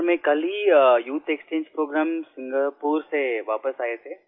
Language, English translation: Hindi, Sir, I came back from the youth Exchange Programme,